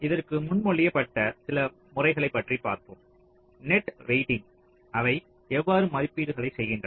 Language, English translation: Tamil, lets look at some of the existing methods which have been proposed for this net weighting, how they how they make the estimates